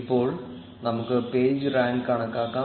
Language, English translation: Malayalam, Now let us compute the page rank